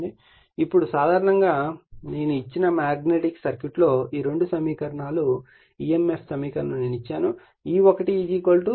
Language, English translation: Telugu, Now, EMF equation thesE2 equations also in the magnetic circuit in general I have given, E1 = 4